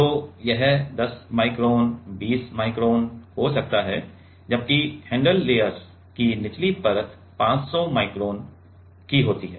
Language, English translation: Hindi, So, it can be 10 micron 20 micron whereas, the bottom layer of the handle layer is like 500 micron